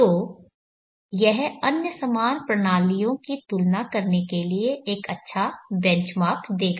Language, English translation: Hindi, So this would give a nice benchmark for comparing other similar systems